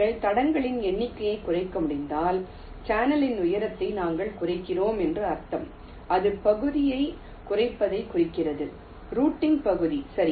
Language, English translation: Tamil, and if you are able to reduce the number of tracks, it will mean that we are reducing the height of the channel, which implies minimizing the area, the routing area